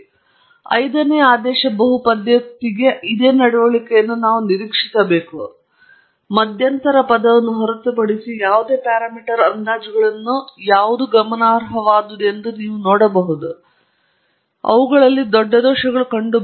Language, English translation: Kannada, So, for the fifth order polynomial as well, you can see none of the parameter estimates except the intercept term are significant, which means they have large errors in them